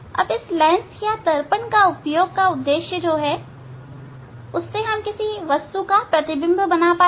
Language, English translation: Hindi, Now this purpose of this using this lens or mirror to form an image of an object